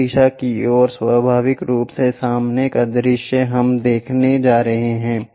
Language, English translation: Hindi, The front view naturally towards that direction we are going to look